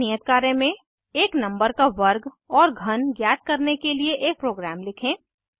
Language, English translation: Hindi, As an assignment, Write a program to find out the square and cube of a number